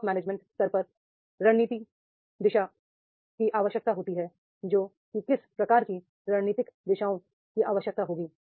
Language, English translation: Hindi, At the top management level there is a need for the strategic direction that is what type of the strategic directions are needed